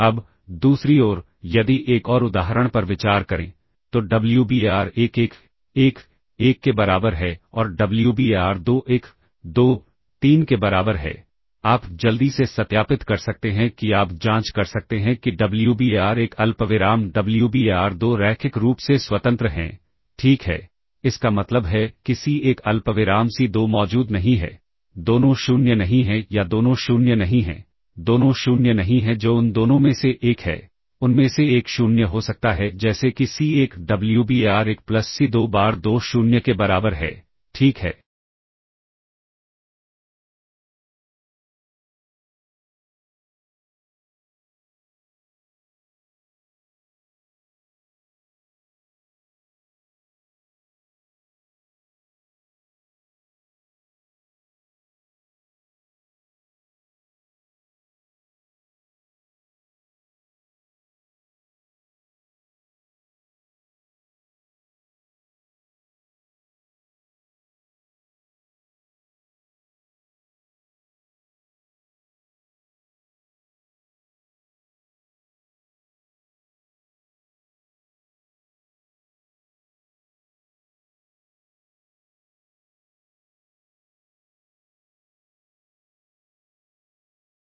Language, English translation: Hindi, Now, on the other hand, if consider another example, Wbar1 equals 1, 1, 1 and Wbar2 equals well 1, 2, 3, you can quickly verify that you can check Wbar1 comma Wbar2 are linearly independent, all right; implies that there do not exist C1 comma C2 both not 0 or not both 0, not both 0 that is one of them both, one of them can be 0 such that C1 Wbar1 plus C2 bar2 equals 0, ok